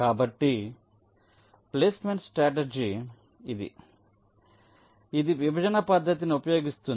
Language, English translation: Telugu, so this is a placement strategy which uses partitioning technique